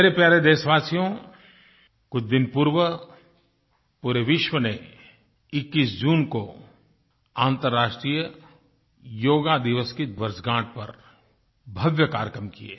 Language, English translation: Hindi, My dear Countrymen, a few days ago on 21st June, the whole world organised grand shows in observance of the anniversary of the International Day for Yoga